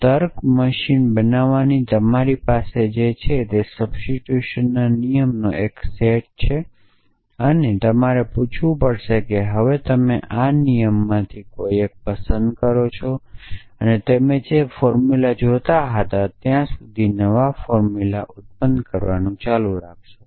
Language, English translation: Gujarati, So, what you have in your to construct a logic machine is a set of rules of inference a set of rules of substitution and you have to ask is now to pick one of this rules and keep producing new formulas till the formula you were that looking for is generated